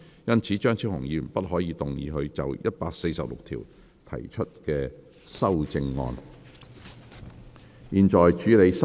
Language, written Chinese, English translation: Cantonese, 因此張超雄議員不可動議他就第146條提出的修正案。, Therefore Dr Fernando CHEUNG may not move his amendment to clause 146